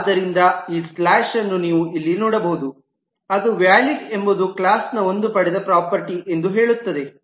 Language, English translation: Kannada, Therefore you can see this slash here which say that Is Valid is a derived property of the class